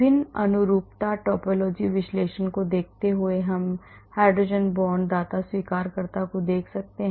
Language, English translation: Hindi, Looking at different conformation topology analysis we can look at hydrogen bond donor acceptors